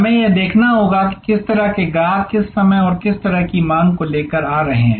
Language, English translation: Hindi, We have to see, what kind of customers are coming up with what kind of demand at what point of time and so on and so forth